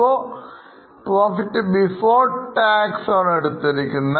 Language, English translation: Malayalam, Now profit before tax, these are the figures